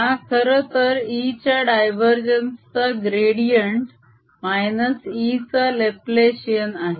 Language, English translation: Marathi, this, however, is gradient of divergence of e minus laplacian of e